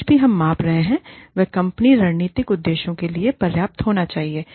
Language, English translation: Hindi, Whatever, we are measuring, needs to be important enough, for the strategic objectives of the company